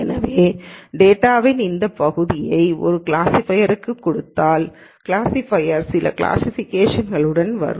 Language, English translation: Tamil, So, if I just give this portion of the data to the classifier, the classifier will come up with some classification